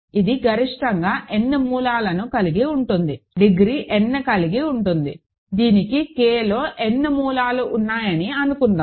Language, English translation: Telugu, So, it can have at most n roots, degree has n suppose it has n roots in K, ok